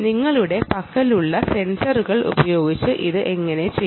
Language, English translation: Malayalam, how do you do it with the sensors that you have